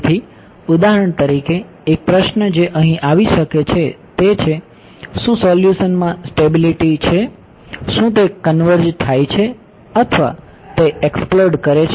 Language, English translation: Gujarati, So, for example, a question that can come over here is, does the solution have stability, does it converge or does it explode